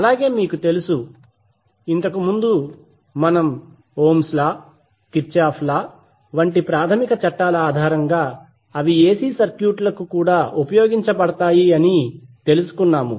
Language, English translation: Telugu, Now we also know, that the previous discussions we had based on basic laws like ohms law Kirchhoff’s law, the same can be applied to AC circuit also